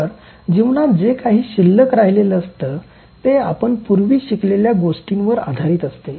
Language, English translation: Marathi, So, whatever is remaining in the life is based on what you have learned before